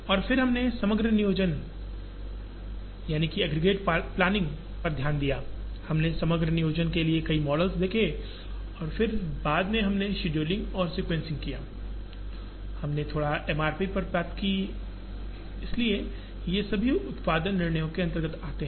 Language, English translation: Hindi, And then we looked at aggregate planning, we saw several models for aggregate planning and then much later we did scheduling and sequencing, we did little bit of MRP, so all of these come under production decisions